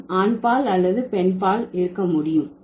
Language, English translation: Tamil, So, we can be either masculine or feminine